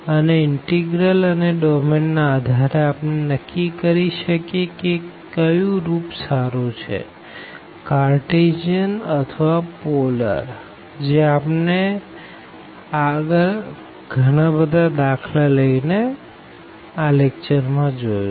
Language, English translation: Gujarati, And that based on the integral integrants and also the domain, we can easily decide that which form is better whether the Cartesian or the polar form we have seen through some examples